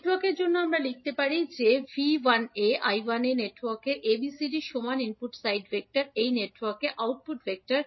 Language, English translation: Bengali, We can write for network a as V 1a I 1a are the input side vector equal to ABCD of network a into V 2a and minus I 2a that is the output vector for the network a